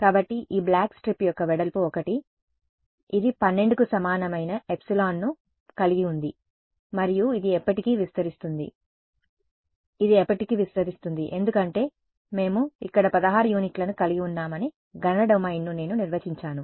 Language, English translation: Telugu, So, the width of this black strip is 1 it has epsilon equal to 12 and it extends forever of course, it extends forever because I have defined the computational domain about we have 16 units over here right